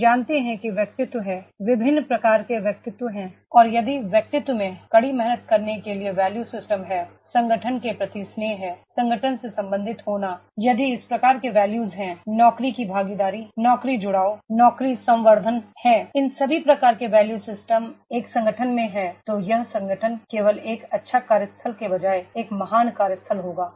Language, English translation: Hindi, We know that is the personality, there are different types of personalities and if the personalities they are having the value system to hard work, to contribute, to having the affection to the organization, belongingness to the organisation, if these type of values are there, there is a job involvement, employee engagement, job enrichment, all these types of the value system are there in an organization then that organization will be a great workplace rather than just only a good workplace will be there